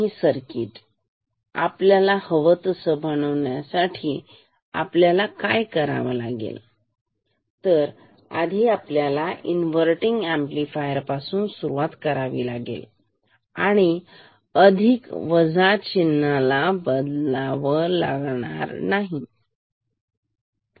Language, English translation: Marathi, And to make the circuit what we have to do we have to start from a inverting amplifier and change the plus minus sign ok